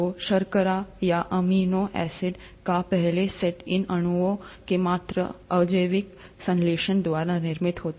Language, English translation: Hindi, So the first set of sugars or amino acids would have been formed by a mere abiotic synthesis of these molecules